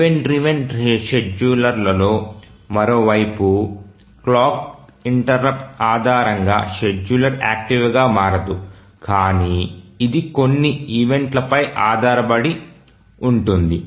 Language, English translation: Telugu, On the other hand in an event driven scheduler, the scheduler does not become active based on a clock interrupt but it is based on certain events